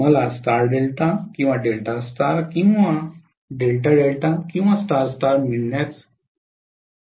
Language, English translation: Marathi, I would be able to get star delta or Delta star or Delta Delta or star star